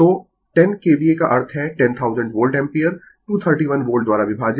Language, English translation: Hindi, So, 10 KVA means, 10,000 Volt Ampere divided by that 231 Volts